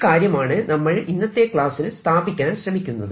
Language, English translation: Malayalam, so that is what we are going to establish in this lecture